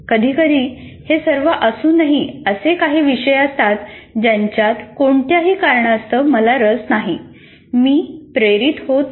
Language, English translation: Marathi, And sometimes in spite of all this, some subjects I am not interested for whatever reason